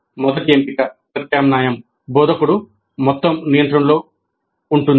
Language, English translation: Telugu, The first option, first alternative is instruction, instructor is in total control